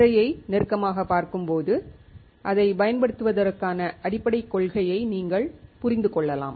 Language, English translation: Tamil, On a closer look to the screen, you can understand the basic principle of using the same